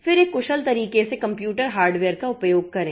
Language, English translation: Hindi, Then use the computer hardware in an efficient manner